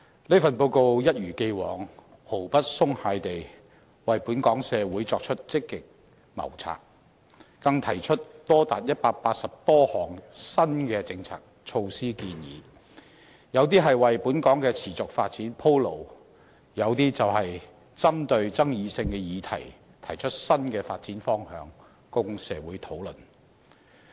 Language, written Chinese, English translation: Cantonese, 一如既往，這份報告毫不鬆懈地為本港社會積極謀策，更提出高達180多項新的政策措施建議，有些為本港的持續發展鋪路，有些則針對爭議性議題提出新的發展方向供社會討論。, As with its predecessors this Address remains vigilant in formulating strategies for the Hong Kong community proactively and this time it proposes more than 180 new policy measures . Among them some pave way for the sustainable development of Hong Kong others are new development directions raised in response to controversial issues and meant to be discussed by the community